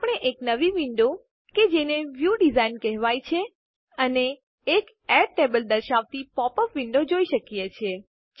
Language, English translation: Gujarati, We see a new window called the View Design and a popup window that says Add tables